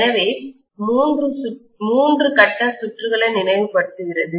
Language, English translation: Tamil, So, so much so for three phase circuits recalling